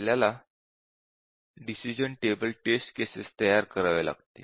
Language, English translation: Marathi, How do we develop the decision table testing